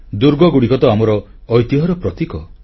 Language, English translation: Odia, Forts are symbols of our heritage